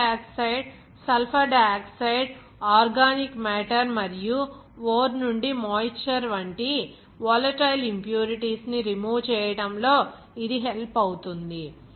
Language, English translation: Telugu, And this helps in removing volatile impurities like carbon dioxide, sulfur dioxide, organic matter, and moisture from the ore